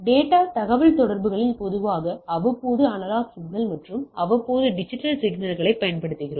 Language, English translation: Tamil, In a data communication we commonly use periodic analog signals and non periodic digital signals right